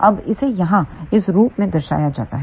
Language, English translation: Hindi, Now, this has to be represented in this form here